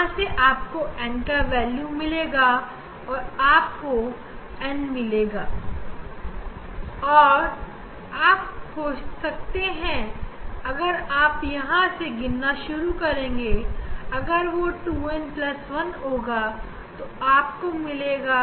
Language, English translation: Hindi, from there you will get the value of n you will get the n and then you can find out you can find out the if you count from this if it is 2n plus 1